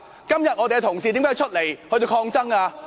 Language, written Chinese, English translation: Cantonese, 今天我們的同事為何要出來抗爭呢？, Why do our Honourable colleagues come forward to resist?